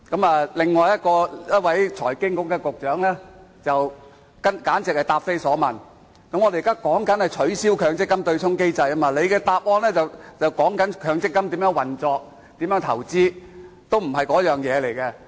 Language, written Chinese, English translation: Cantonese, 財經事務及庫務局局長簡直是答非所問，我們討論的是取消強積金對沖機制，但他作答時卻談論強積金如何運作和投資，完全不是那回事。, The Secretary for Financial Services and the Treasury is simply not answering to the question . While we are discussing the abolition of the MPF offsetting mechanism he talked about in his reply the operation and investments of MPF which are totally irrelevant